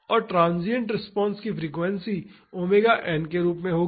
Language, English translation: Hindi, And the transient response will have frequency as omega n